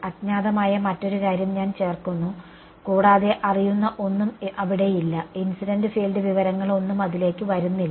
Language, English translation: Malayalam, I am adding another unknown right then the and there is nothing known there is no incident field information coming into it